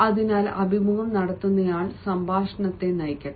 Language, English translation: Malayalam, so let the interviewer lead the conversation